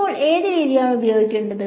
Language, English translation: Malayalam, So now which method to use when